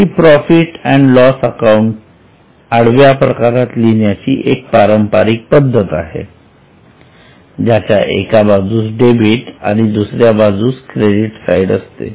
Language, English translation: Marathi, This is a traditional way of writing it in a horizontal form on debit on one side and credit on one other side